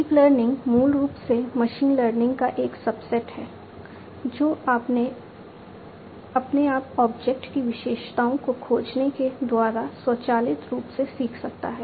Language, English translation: Hindi, Deep learning, basically, is a subset of machine learning, which can learn automatically by finding the features of the object on its own